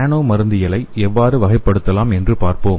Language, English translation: Tamil, Let us see how the nano pharmacology can be categorized